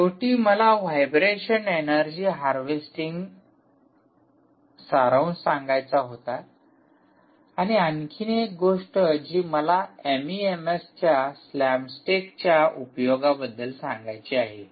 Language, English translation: Marathi, finally, i wanted to summarize ah, the vibration, ah, energy harvesting and this thing about these, this application of this mems ah, hm slam stake